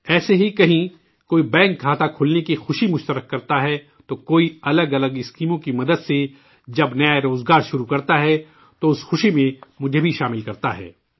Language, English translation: Urdu, Similarly, someone shares the joy of opening a bank account, someone starts a new employment with the help of different schemes, then they also invite me in sharing that happiness